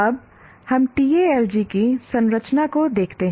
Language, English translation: Hindi, Now let us look at the structure of this TALG